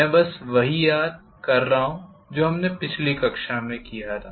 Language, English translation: Hindi, I am just recalling what we did in the last class